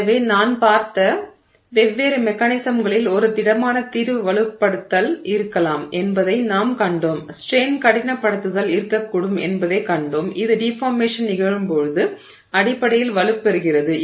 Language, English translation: Tamil, So, of the different mechanisms that we saw, we saw that there could be solid solution strengthening, we saw that there could be strain hardening which is basically strengthening as the deformation is occurring